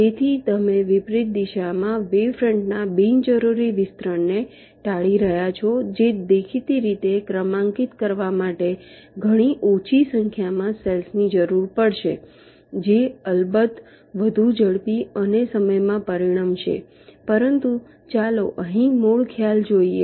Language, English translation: Gujarati, so you are avoiding unnecessary expansion of the wave fronts in the reverse direction, which will obviously require much less number of cells to be numbered, which of course will result in much faster and times